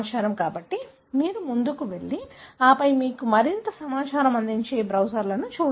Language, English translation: Telugu, So, you go head and then look into these browsers that will give you more information